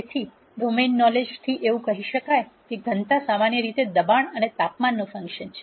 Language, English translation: Gujarati, So, from domain knowledge it might be possible to say that density is in general a function of pressure and temperature